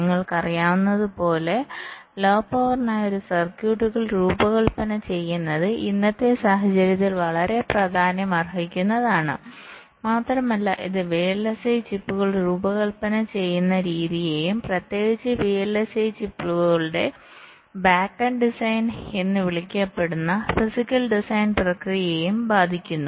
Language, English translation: Malayalam, ah, as you know, designing a circuits for low power has become so much very important in the present day scenario and it also affects the way vlsi chips are designed and also, in particular, the physical design process, the so called back end design of the vlsi chips, the way they are done today